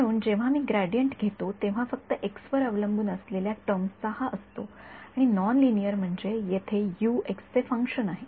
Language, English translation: Marathi, So, when I take the gradient only the x dependent terms are this guy and non linear means over here U is a function of x